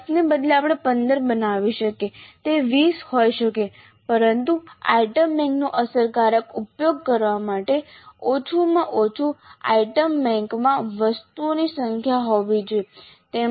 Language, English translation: Gujarati, Instead of 10 we could create 15 it could be 20 but at least this much should be the number of items in the item bank in order to make effective use of the item bank